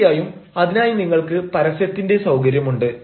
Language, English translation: Malayalam, of course, for that you have advertisement facility